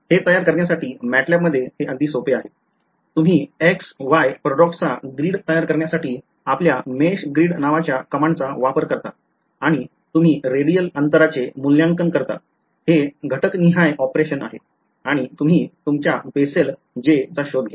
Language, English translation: Marathi, In MATLAB its very very simple to generate this so, you use your command called meshgrid to generate a grid of X, Y points and you evaluate the radial distance this is element wise operation and just find out your Bessel J